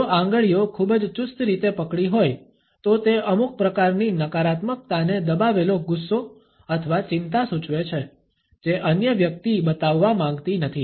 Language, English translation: Gujarati, If the fingers are very tightly held then it suggests some type of negativity a suppressed anger or anxiety which the other person does not want to show